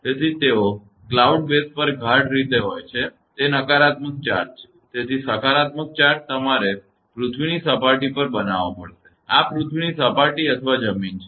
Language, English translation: Gujarati, So, they are thickly on the cloud base it is negative charge; so, positive charge will be you have to build up on the earth surface; this is earth surface or ground